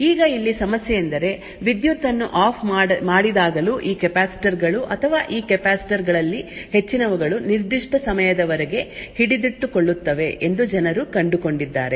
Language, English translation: Kannada, Now the problem here is that people have found that even when the power is turned off the state of this capacitors or many of these capacitors is still detained for certain amount of time